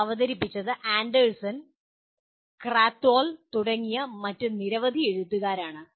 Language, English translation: Malayalam, It is presented by Anderson, Krathwohl and several other authors